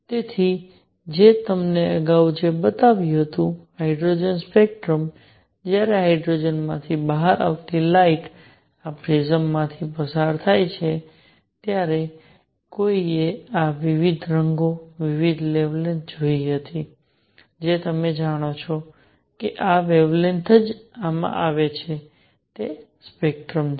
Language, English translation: Gujarati, So, what I showed you earlier, the hydrogen spectrum when the light coming out of hydrogen was passed through this prism one saw these different colors, different wavelengths that is how you know only these wavelengths come in this is spectrum